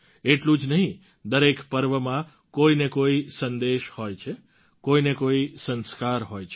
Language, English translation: Gujarati, Not only this, there is an underlying message in every festival; there is a Sanskar as well